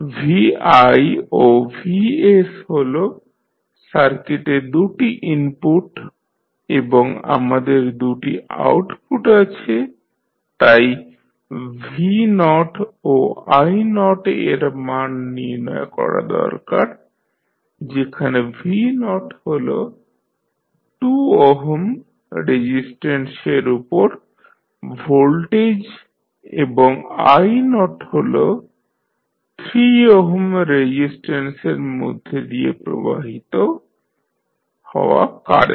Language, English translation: Bengali, vs and vi are the two inputs in the circuit and we have two outputs so we need to find the value of v naught and i naught, v naught is the voltage across 2 ohm resistance and i naught is the current following through the 3 ohm resistance